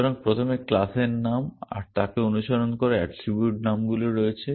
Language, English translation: Bengali, So, there is a class name followed by attribute names eventually